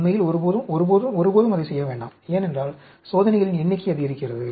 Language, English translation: Tamil, Never, never, never do that actually, because, the number of experiments increases